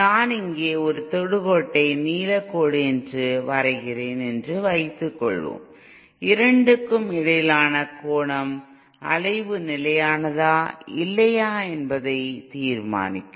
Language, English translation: Tamil, Suppose I draw a tangent here a tangent that is blue line, the angle between the two will determine whether the oscillation is stable or not